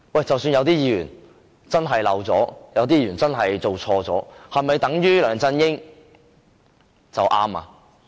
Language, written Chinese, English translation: Cantonese, 即使有議員真的漏了申報或做錯，是否等於梁振英做對了嗎？, Even if some Members have omitted to declare interests or made some mistakes does it mean that LEUNG Chun - ying has acted properly?